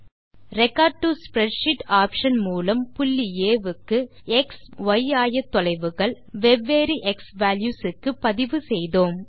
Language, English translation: Tamil, Use the Record to Spreadsheet option to record the x and y coordinates of a point A, for different a and b value combinations